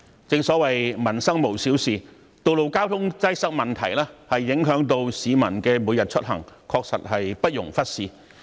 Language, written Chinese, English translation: Cantonese, 正所謂民生無小事，道路交通擠塞問題影響市民每天出行，確實不容忽視。, As the saying goes Peoples livelihood is no small matter . Road traffic congestion affects peoples daily travel . It really should not be ignored